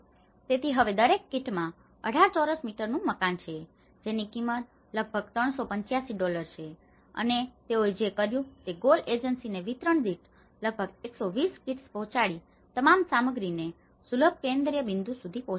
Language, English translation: Gujarati, So, now each kit has 18 square meter house, which is costing about 385 dollars and what they did was the GOAL agency have trucked all the materials to accessible central points, delivering about 120 kits per distribution